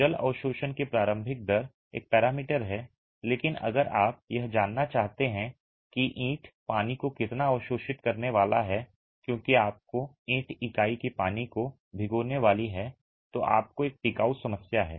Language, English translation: Hindi, The initial rate of water absorption is one parameter but if you want to know how much is the brick going to absorb water as such because you have a durability problem if the brick unit is going to be soaking water